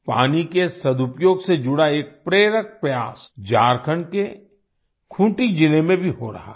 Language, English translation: Hindi, An inspiring effort related to the efficient use of water is also being undertaken in Khunti district of Jharkhand